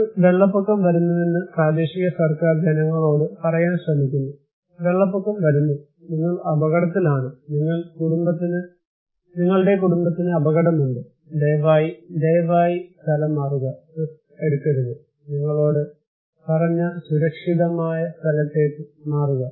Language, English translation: Malayalam, Let us imagine that a flood is coming and local government is trying to say to the people that flood is coming so, you are at risk so, your family is at risk so, please, please, please evacuate, do not take the risk, but please evacuate to a safer place that we told you